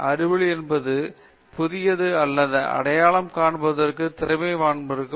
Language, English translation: Tamil, Knowledge gives us the ability to recognize what is genuinely new